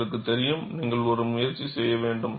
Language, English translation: Tamil, You know, you have to make an attempt